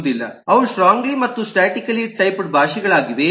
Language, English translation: Kannada, they are strongly and statically typed languages